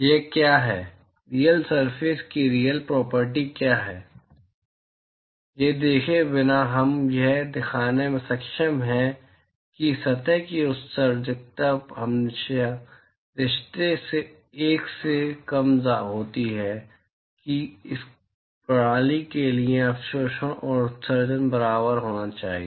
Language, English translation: Hindi, Without looking at what this is, what is the actual property of the real surface, we are able to show that the emissivity of the surface is always less than 1 simply by the relationship that absorptivity and emissivity should be equal for this system